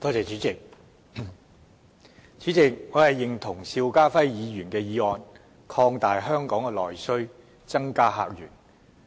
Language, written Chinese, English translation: Cantonese, 主席，我認同邵家輝議員的議案，擴大香港的內需，增加客源。, President I agree with Mr SHIU Ka - fais motion that we should stimulate internal demand and open up new visitor sources